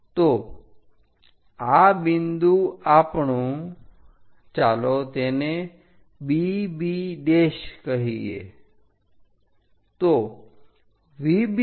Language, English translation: Gujarati, So, this point is our B B B prime let us call it